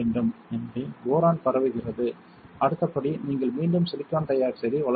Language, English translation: Tamil, So, boron is diffused next step is you again grow silicon dioxide